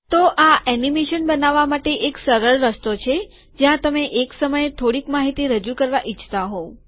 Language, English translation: Gujarati, So this is one easy way to create animation where you want to present information a little at a time